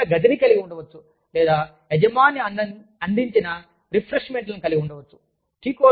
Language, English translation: Telugu, You could have a lunch room, or, employer provided refreshments